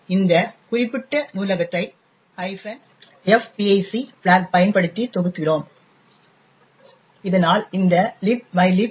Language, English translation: Tamil, So, we compile this particular library using the F, minus F pic file, a flag and thus create this library libmylib pic